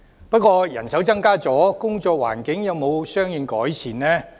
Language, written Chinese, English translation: Cantonese, 不過人手增加後，工作環境有沒有相應改善？, Nevertheless has there been any corresponding improvement in the working environment after the increase in manpower?